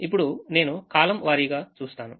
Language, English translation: Telugu, now i look at column wise